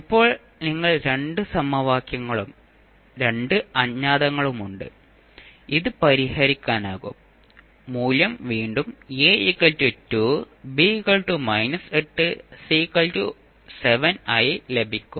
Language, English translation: Malayalam, Now, you have two equations and two unknowns, you can solve and you will get the value again as A is equal to 2, B is equal to minus 8 and C is equal to seven